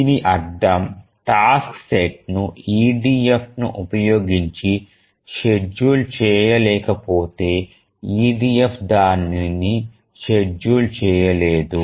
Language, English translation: Telugu, If a task set cannot be run using EDF, it cannot be run using any other schedulers